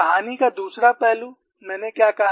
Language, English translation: Hindi, The other aspect of the story what I said